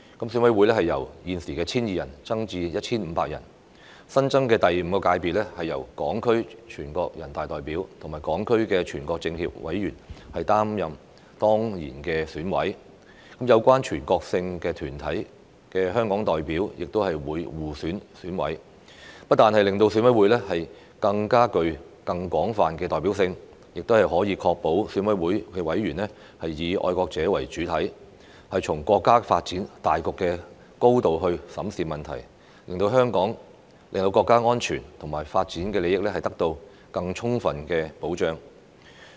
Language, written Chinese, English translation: Cantonese, 選委會由現時的 1,200 人增至 1,500 人；新增的第五界別，由港區全國人大代表和港區全國政協委員擔任當然委員，有關全國性團體的香港代表亦會互選選委，不但令選委會具更廣泛的代表性，亦可確保選委會委員以愛國者為主體，從國家發展大局的高度審視問題，令國家安全和發展利益得到更充分的保障。, The number of EC members will be increased from the present 1 200 to 1 500 . In the newly added Fifth Sector HKSAR deputies to NPC and HKSAR members of the National Committee of the Chinese Peoples Political Consultative Conference will serve as ex - officio members while representatives of Hong Kong members of relevant national organizations will elect members from among themselves . It will not only make EC more broadly representative but also ensure that EC members are exclusively patriots who examine issues from the big picture of national development